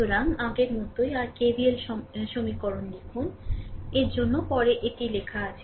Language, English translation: Bengali, So, same as before, if you write the your KVL equations, for the for these one later it is written